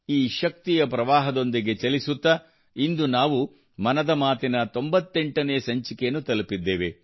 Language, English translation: Kannada, Moving with this very energy flow, today we have reached the milepost of the 98th episode of 'Mann Ki Baat'